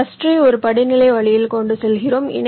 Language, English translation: Tamil, we carry our cluster in a hierarchical way